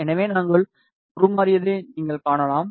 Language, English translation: Tamil, So, you can see we have transformed